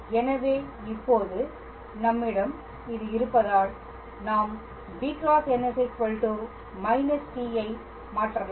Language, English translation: Tamil, So, now that we have this here I can substitute b cross n as minus of t